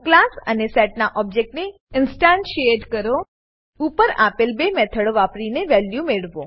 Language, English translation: Gujarati, Instantiate the object of the class and set and get values using the above 2 methods